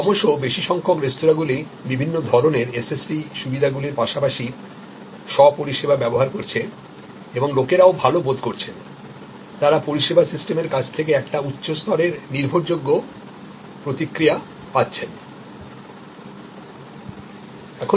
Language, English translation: Bengali, More and more restaurants are using the different types of SST facilities as well as self service and yet people feel good, they get a high level of reliable response from the service system